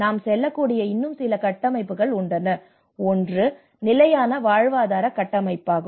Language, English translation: Tamil, There are few more frameworks which I let us go through; one is the sustainable livelihoods framework